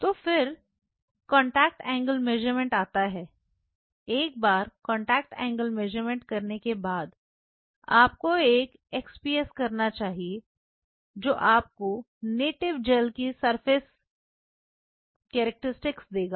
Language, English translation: Hindi, So, then comes contact angle measurements, followed by once you do a contact angle measurement you should do an XPS that will give you the surface characteristics sorry the surface characteristics of the native gel